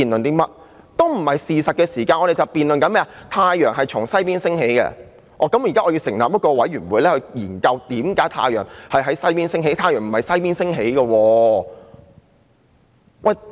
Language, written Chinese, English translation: Cantonese, 難道我們要辯論太陽是否從西邊升起，然後成立一個調查委員會研究為何太陽從西邊升起？, Do we have to debate whether the sun rises from the west and then set up an investigation committee to study how come the sun rises from the west?